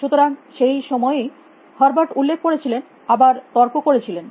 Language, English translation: Bengali, So, at the same time Herbert refers argues against,